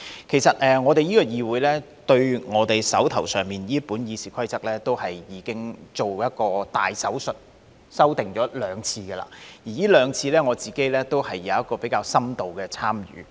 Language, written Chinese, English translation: Cantonese, 其實，我們這個議會對我手上這本《議事規則》已經做過一個"大手術"，修訂了兩次。而這兩次，我都有比較深度的參與。, Actually we in this legislature already performed a major operation on the text of the Rules of Procedure now in my hand during two amendment exercises and my involvement in both exercises was quite extensive